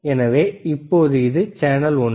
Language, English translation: Tamil, So, right now this is channel one,